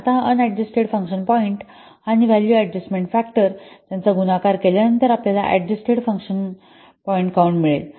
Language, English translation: Marathi, Now, this unadjusted function point and this what are just the value adjust factor, they will be multiplied to give you the adjusted function point count